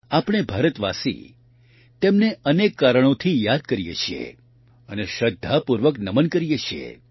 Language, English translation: Gujarati, We Indians remember him, for many reasons and pay our respects